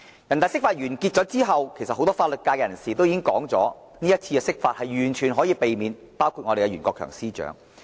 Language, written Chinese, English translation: Cantonese, 人大釋法之後，很多法律界人士也說這次釋法完全可以避免，當中包括我們的袁國強司長。, After the NPCs interpretation of the Basic Law many legal practitioners including our Secretary Rimsky YUEN said that the interpretation was totally unnecessary